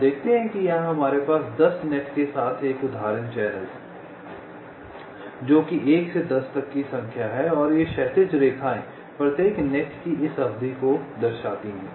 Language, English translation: Hindi, ok, you see that here we have a example channel with ten nets which are number from one to up to ten, and these horizontal lines show this span of each of the nets